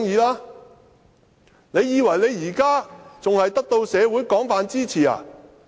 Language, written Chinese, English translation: Cantonese, 他以為他現時仍得到社會廣泛支持嗎？, Does he think he still enjoys general support from the society?